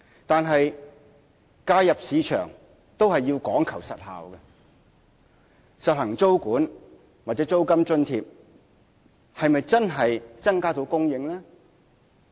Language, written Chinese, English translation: Cantonese, 但是，介入市場都要講求實效，實行租管或租金津貼是否真的能增加房屋供應？, However market intervention is about effective results . Will tenancy control or rental subsidy help increase housing supply?